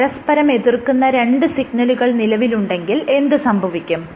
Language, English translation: Malayalam, What would happen if you have two signals which oppose each other